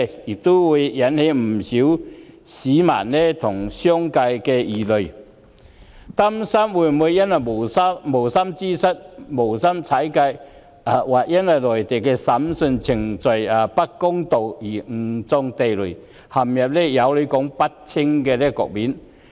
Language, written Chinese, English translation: Cantonese, 因此，不少市民和商界人士憂慮，日後會因無心之失踩界，或因內地審訊程序不公而誤中地雷，陷入有理說不清的局面。, Hence many members of the public and members of the business sector are worried that they may land in a situation where they cannot defend themselves clearly in unfair Mainland trial after they unintentionally step out of line or inadvertently breach the law in future